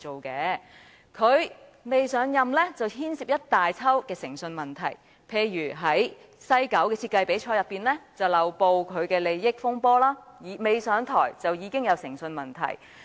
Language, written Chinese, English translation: Cantonese, 他尚未上任已牽涉一連串誠信問題，例如西九文化區設計比賽的漏報利益風波，還未上任已出現誠信問題。, LEUNG Chun - ying got entangled in a series of integrity issues before he took office such as the failure to make a declaration of interest in the West Kowloon Cultural District design competition and his integrity was already open to question even before he took up the post